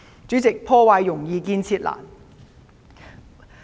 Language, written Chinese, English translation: Cantonese, 主席，破壞容易，建設難。, President destruction is easy but construction difficult